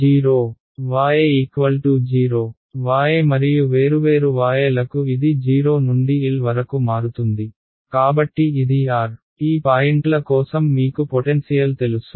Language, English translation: Telugu, 0, y, 0 right for different y and y is going to vary from 0 to L right so, this is my r ; for these points I know the potential right